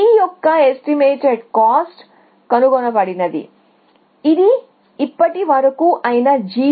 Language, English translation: Telugu, The estimated cost of g is the cost found, so far which is the g value which is 150